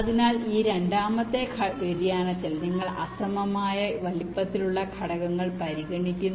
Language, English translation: Malayalam, so in this second you are considering unequal sized elements